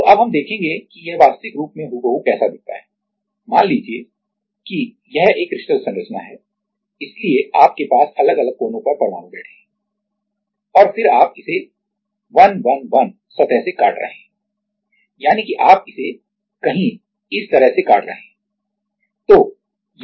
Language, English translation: Hindi, So, now we will see that how it looks exactly in real life like, let us say this is a crystal structure so you have at different corners atoms are sitting and then you are cutting it with 111 plane that means, you are cutting it like this somewhere